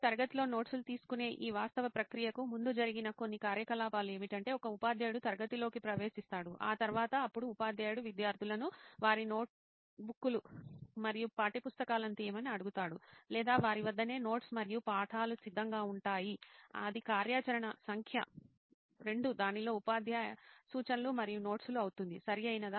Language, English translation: Telugu, Some of the activities that happened before this actual process of taking notes in class is that a teacher would enter the class that would be something that happens before; Then teacher would either ask the students to take out their notebooks and textbooks or they themselves would have the notes and texts ready; that would be activity number 2, teacher instruction and notes, right